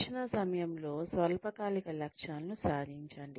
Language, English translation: Telugu, Achieve short term goals, during the training